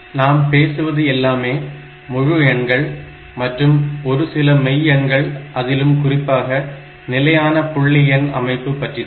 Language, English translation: Tamil, So, will be talking mostly about integer numbers and some cases we may talk about these real numbers and that also in the fixed point notation